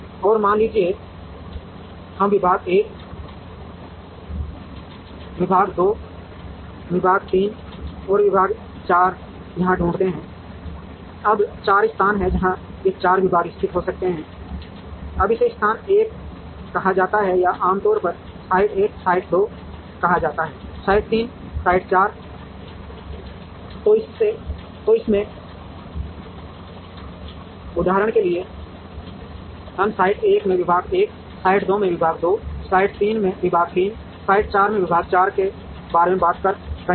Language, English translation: Hindi, And suppose, we locate department 1 here, department 2 here, department 3 here and department 4 here, now there are 4 places, where these 4 departments can be located, now this is called location 1 or is usually called site 1, site 2 site 3, site 4